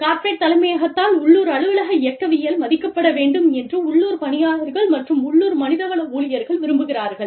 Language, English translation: Tamil, Local workforces and local HR staffs, want the local office dynamics, to be respected by corporate headquarters